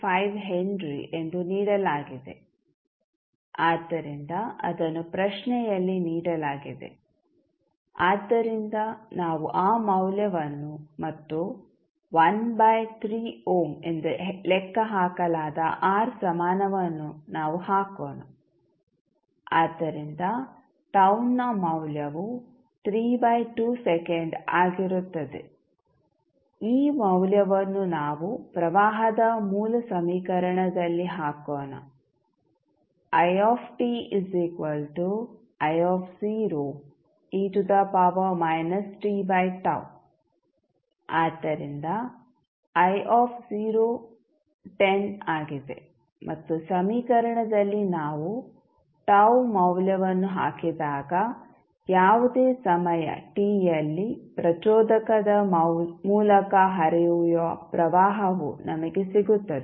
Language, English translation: Kannada, 5 henry so that was given in the question so, we will put that value and the R equivalent we have just now calculated as 1 by 3 ohm so, value of tau will be 3 by 2 second, this value we will put in the original equation of It that was I naught into e to the power minus t by tau, so this will become It is nothing but I naught, I naught is the value of current I at time t is equal to 0, so this is given in the question so, value of that is 10